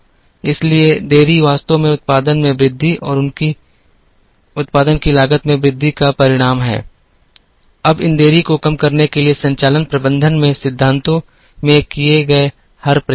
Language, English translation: Hindi, So, the delays actually result in increased time to produce and increased cost of production and there is every effort made in the principles in operations management to bring down these delays